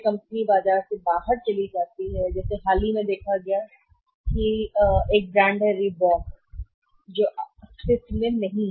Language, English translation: Hindi, Company goes out of the market recently was seen is Reebok is not the brand which is no more in existence